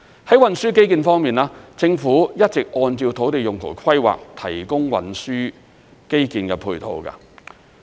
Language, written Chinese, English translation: Cantonese, 在運輸基建方面，政府一直按照土地用途規劃提供運輸基建配套。, On transport infrastructures the Government has been providing supporting transport infrastructures in accordance with the land use planning